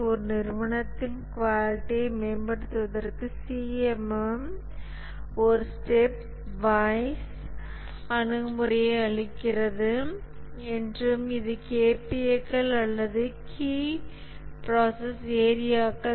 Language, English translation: Tamil, And also we had said that the CMM gives a step wise approach to improve the quality at an organization and this is known as the KPS or the key process areas